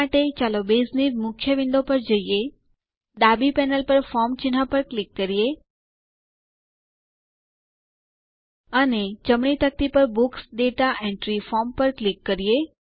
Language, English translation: Gujarati, For this, let us go to the Base main window, click on the Forms icon on the left panel, And double click on Books Data Entry Form on the right panel